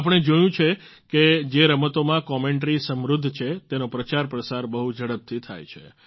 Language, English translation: Gujarati, We have seen that games in which commentaries are vibrant, they get promoted and gain popularity very fast